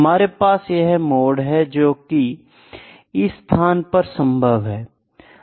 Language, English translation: Hindi, So, mode is possible in all these